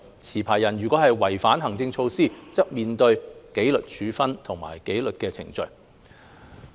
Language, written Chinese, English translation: Cantonese, 持牌人如果違反行政措施，則須面對紀律程序和處分。, Licensees that contravene administrative requirements will be subject to the disciplinary proceedings and sanctions